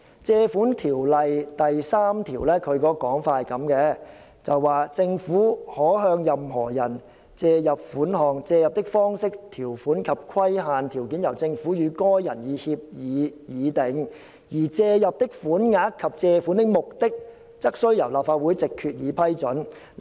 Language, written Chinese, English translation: Cantonese, 《借款條例》第3條訂明："政府可向任何人借入款項，借入的方式、條款及規限條件由政府與該人以協議議定，而借入的款額及借款的目的則須由立法會藉決議批准。, It is stipulated in section 3 of the Ordinance that The Government may in such manner and on such terms and subject to such conditions as may be agreed between the Government and any person borrow from such person such sum or sums and for such purposes as may be approved by Resolution of the Legislative Council